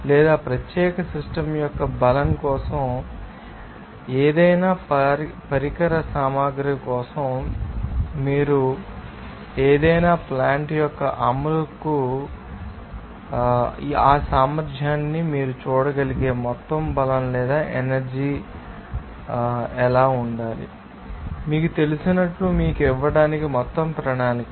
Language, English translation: Telugu, All you can say that for the strength of you or particular system or any you know process equipment or you can see that there will be a you know execution of any plant, what should be the overall strength or power you can see that ability of that you know, overall plan to give you certain you know it